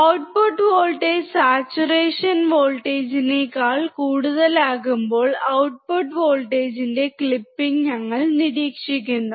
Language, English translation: Malayalam, When the output voltage is greater than the saturation voltage , we observe clipping of output voltage